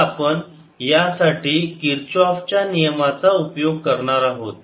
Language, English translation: Marathi, so we will use kirchhoff's law for this